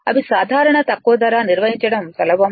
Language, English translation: Telugu, They are simple low price, easy to maintain